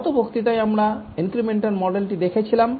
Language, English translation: Bengali, In the last lecture we looked at the incremental model